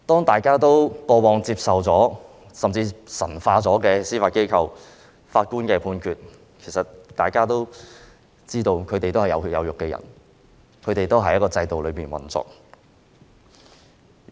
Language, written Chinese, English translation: Cantonese, 大家過往神化了司法機構和法官的判決，但其實大家都知道，法官是有血有肉的人，司法機構是按法律制度運作。, We have previously over - deified the Judiciary and the judgments made by judges though we actually know that judges are human beings of flesh and blood and the Judiciary operates under the legal system